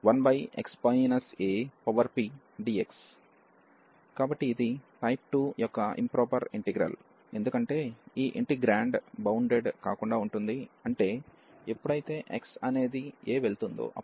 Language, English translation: Telugu, So, this is the improper integral of type 2, because this integrand is unbounded, when x goes to this a